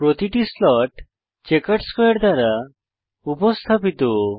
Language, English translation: Bengali, Each slot is represented by a checkered square